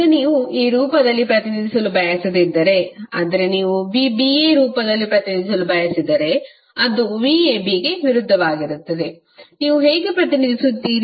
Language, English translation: Kannada, Now, if you do not want to represent in this form simply you want to represent in the form of v ba that is opposite of that how you will represent